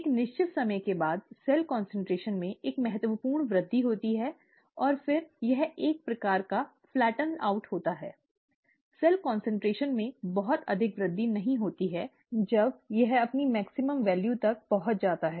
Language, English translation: Hindi, After a certain time, there is a significant increase in cell concentration, and then there is, it kind of flattens out, there is not much of an increase in cell concentration after it reaches its maximum value